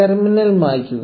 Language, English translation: Malayalam, Clear the terminal